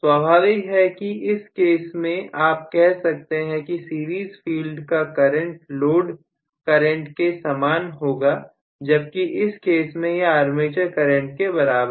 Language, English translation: Hindi, Of course, in this case you can say the series field is going to carry only the load current whereas in this case it is going to carry the armature current